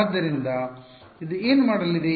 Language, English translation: Kannada, So, what is this going to be